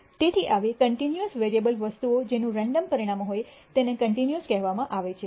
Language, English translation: Gujarati, So, such continuous variable things which have random outcomes are called continuous